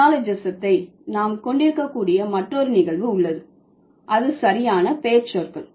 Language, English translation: Tamil, Then there is another phenomenon by which we can use, like we can have neologism, that is proper nouns